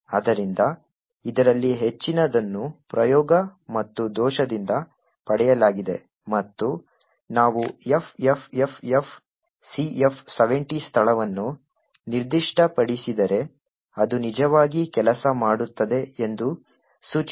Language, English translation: Kannada, So, lot of this is obtained by trial and error and what we found that is if we specify the location FFFFCF70 it would indicate it would actually work